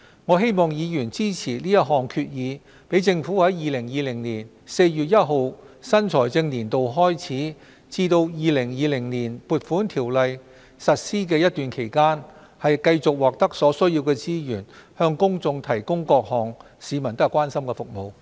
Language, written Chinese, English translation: Cantonese, 我希望議員支持這項決議案，讓政府在2020年4月1日新財政年度開始至《2020年撥款條例》實施前的一段期間，繼續獲得所需資源，向公眾提供各項市民所關心的服務。, I urge Honourable Members to support this resolution so that during the period from the beginning of the new fiscal year on 1 April 2020 to the commencement of the Appropriation Ordinance 2020 the Government may continue to receive necessary resources for providing the public with those services of their concern